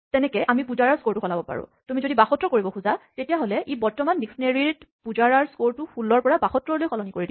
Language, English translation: Assamese, So, we can change PujaraÕs score, if you want by an assignment to 72, and this will just take the current dictionary and replace the value associated to Pujara from 16 to 72